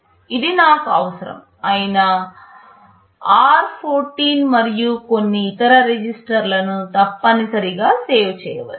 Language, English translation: Telugu, It essentially saves r14 and some other registers which I may be needing